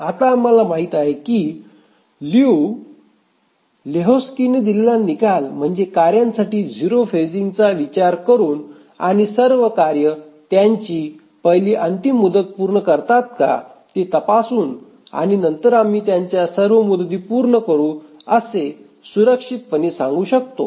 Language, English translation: Marathi, Now we know the result given by Liu Lehuzki that consider zero phasing for the tasks and check if all the tasks meet their first deadline and then we can safely say that they will meet all their deadlines